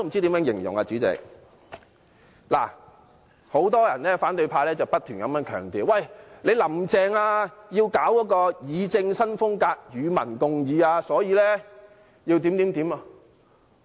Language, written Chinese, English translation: Cantonese, 代理主席，很多反對派不停強調，"林鄭"要搞議政新風格，與民共議，所以要怎樣怎樣。, Deputy Chairman many opposition Members kept on emphasizing that if Carrie LAM wanted to adopt a new style of governance with public engagement she should do this and that